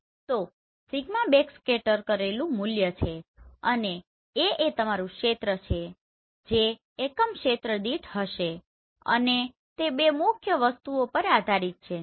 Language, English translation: Gujarati, So sigma is backscattered value and A is your area so that will become per unit area and it depends on two main things